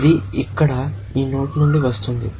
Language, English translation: Telugu, It is coming from this node here